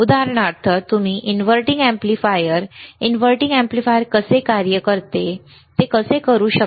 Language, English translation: Marathi, You can do measure for example, the inverting amplifier how inverting amplifier operates, right